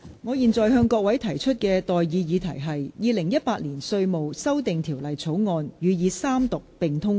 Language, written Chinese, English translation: Cantonese, 我現在向各位提出的待議議題是：《2018年稅務條例草案》予以三讀並通過。, I now propose the question to you and that is That the Inland Revenue Amendment Bill 2018 be read the Third time and do pass